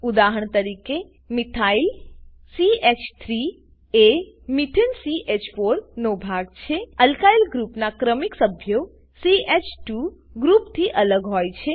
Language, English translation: Gujarati, For example: Methyl CH3 is a fragment of Methane CH4 Successive members of an Alkyl group differ by a CH2 group